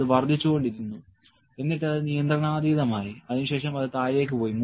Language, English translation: Malayalam, And it kept on increasing and it went out of control then it came down